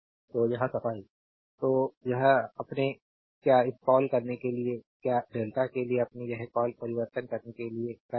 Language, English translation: Hindi, So, cleaning it; so, you are making this your what you call this to you have to convert it your what you call to delta